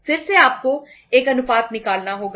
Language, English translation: Hindi, Again you have to say work out a ratio